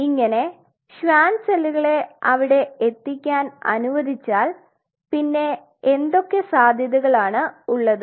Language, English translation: Malayalam, So, once you allow the Schwann cells to get there what are the possibilities